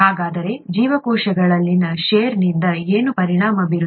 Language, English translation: Kannada, So what gets affected by shear in cells